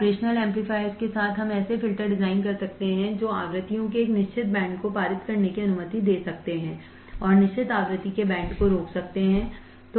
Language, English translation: Hindi, With the operational amplifier we can design filters that can allow a certain band of frequencies to pass and certain band of frequency to stop